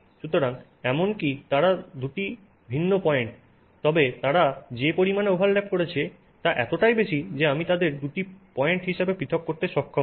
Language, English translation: Bengali, So, even now they are two points but the extent to which they are overlapping is so much that I am not able to separate them as two points, right